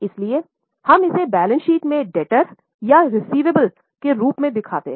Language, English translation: Hindi, So, we show it in the balance sheet as a debtor or a receivable